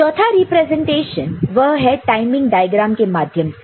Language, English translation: Hindi, The 4th representation that we see is through timing diagram